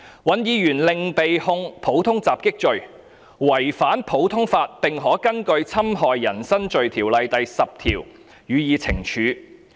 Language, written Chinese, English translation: Cantonese, 尹議員另被控'普通襲擊'罪，違反普通法並可根據《侵害人身罪條例》第40條予以懲處。, Hon WAN has further been prosecuted for the offence of Common Assault contrary to Common Law and punishable under section 40 of the Offences Against the Person Ordinance Cap . 212